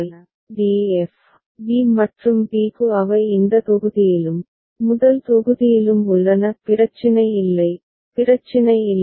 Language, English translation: Tamil, For d f, b and b they also lie in this block, first block; no issue right, no problem